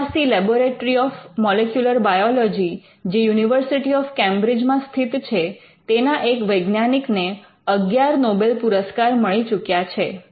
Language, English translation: Gujarati, The MRC Laboratory of Molecular Biology, which is in the University of Cambridge, the work of the scientist has attracted 11 Nobel prizes